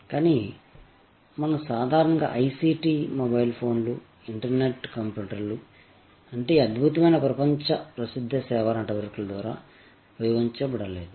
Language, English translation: Telugu, But, what we normally mean by ICT, the mobile phones, the internet, the computers, those are not used by this excellent world famous service network